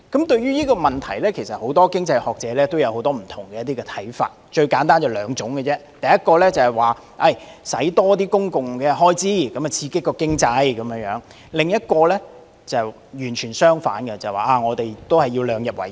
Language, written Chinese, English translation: Cantonese, 對於這個問題，很多經濟學者有不同看法，簡單而言可分為兩類，第一類主張增加公共開支刺激經濟；另一類則完全相反，主張審慎理財、量入為出。, Many economists have divergent views on this question which can be broadly classified into two groups . The first group advocates increasing public expenditure to stimulate the economy . On the contrary the other group takes a diametrically opposite stance embracing the principles of fiscal prudence and keeping expenditure within the limits of revenues